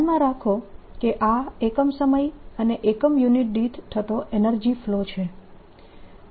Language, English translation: Gujarati, keep in mind that this is energy flow per unit area, per unit time